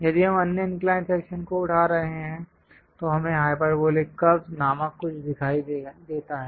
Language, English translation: Hindi, If we are picking other inclined section, we see something named hyperbolic curves